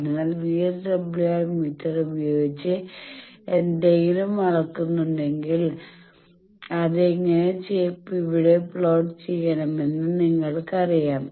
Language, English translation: Malayalam, So, if you measure something by VSWR meter you know how to plot it here